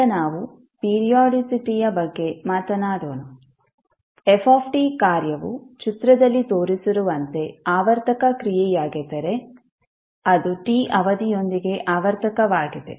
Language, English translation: Kannada, Now let’s talk about the time periodicity, if the function f t is a periodic function which is shown in the figure it’ is periodic with period t